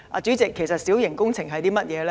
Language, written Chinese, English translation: Cantonese, 主席，其實小型工程是甚麼？, President what actually are minor works?